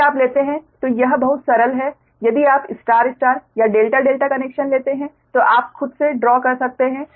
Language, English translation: Hindi, if you take very simple, it is: if you take star star or delta delta connection, you can draw yourself